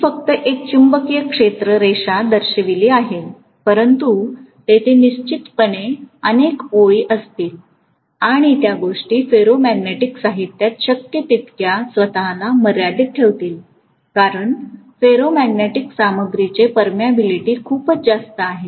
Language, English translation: Marathi, the magnetic field line I have shown only one, but there will be definitely multiple number of lines and they those things will confine themselves as much as possible to the ferromagnetic material because the permeability of the ferromagnetic material is pretty much high